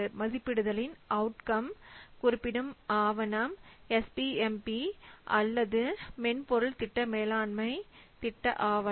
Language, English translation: Tamil, The output of software project management is this SPMP document, which is known as software project management plan document